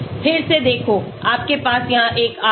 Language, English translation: Hindi, again look at this you have a R here